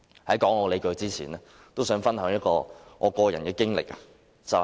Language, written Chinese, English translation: Cantonese, 在提出理據前，我想講述一段個人經歷。, Before presenting my justifications I would like to relate my personal experience